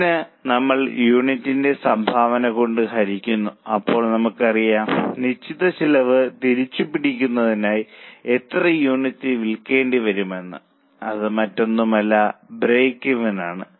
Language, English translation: Malayalam, So, we divide it by contribution per unit so that we know that how many units you need to sell to recover that much of fixed cost which is nothing but a break even